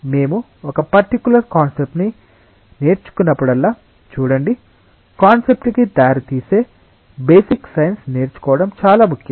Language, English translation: Telugu, See whenever we learn a particular concept it is important to learn the basic science that leads to the concept